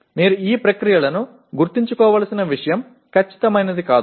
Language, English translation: Telugu, One thing you should remember these processes are not exact